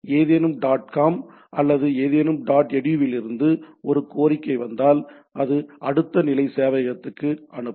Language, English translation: Tamil, Say if there is a request coming from something dot com or something dot edu, it will send it to the next level server which resolves the next level things